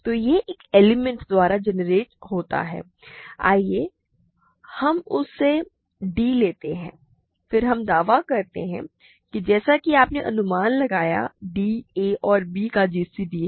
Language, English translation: Hindi, So, it is generated by a single element; let us call that d, then we claim that as you guess d is a g c d of a and b